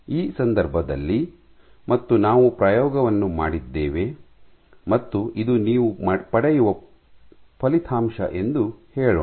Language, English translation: Kannada, So, in this case and let us say we have done the experiment and this is the output that you get